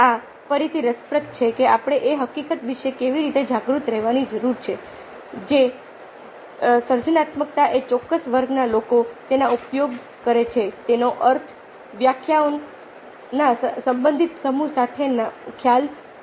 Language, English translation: Gujarati, so this again is interesting: that how we need to aware of the fact that creativity is a concept with relative set of definitions, depending on which particular category of people are using it, still difficult to define